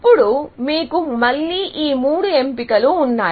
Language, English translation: Telugu, Then, you try these three options, again